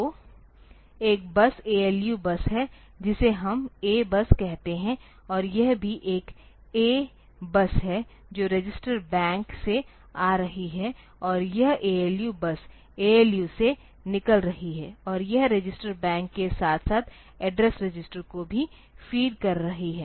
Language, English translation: Hindi, So, one bus is the ALU bus which we call A bus and also it is A bus coming from the register bank and this ALU bus is coming out of the ALU and it is feeding the register bank as well as the address registers